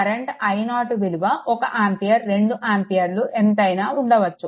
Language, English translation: Telugu, Any value of i 0 1 ampere 2 ampere it does not matter